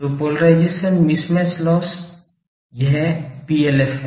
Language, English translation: Hindi, So, polarization mismatch loss this is PLF